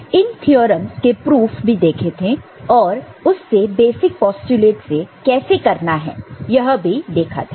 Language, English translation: Hindi, And we saw proof of those theorems from many of them, how to do it from the basic postulates